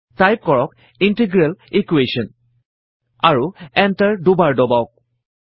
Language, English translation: Assamese, Type Integral Equations: and press enter twice